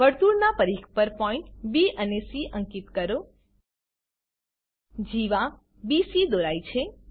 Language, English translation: Gujarati, Mark points B and C on the circumference of the circle A chord BC is drawn